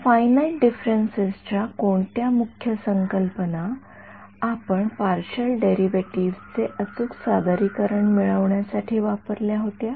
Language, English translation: Marathi, What are the key concept for finite differences that we used to get accurate representations of the partial derivatives